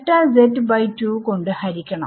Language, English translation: Malayalam, Divide by delta z by 2